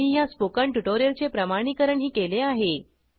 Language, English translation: Marathi, They have also validated the content for this spoken tutorial